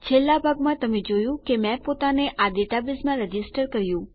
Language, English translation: Gujarati, In the last part, you saw that I registered myself in this database